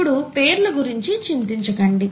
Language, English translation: Telugu, DonÕt worry about the names now